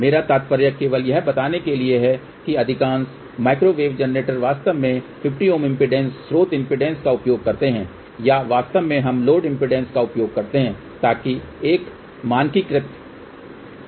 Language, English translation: Hindi, I mean just to tell you most of the microwave generators really use 50 ohm impedance source impedance or in fact we use load impedance also, so that there is a standardized process